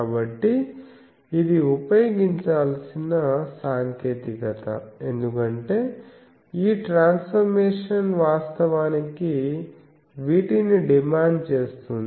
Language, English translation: Telugu, So, this is the technique that should be used, because this transformation actually demands these